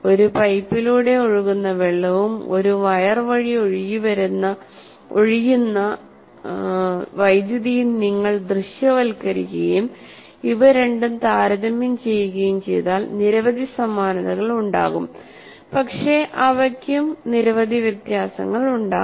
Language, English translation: Malayalam, But if you put water flowing through a pipe and current flowing through a wire, if I compare these two, there will be many similarities, but there will also be many differences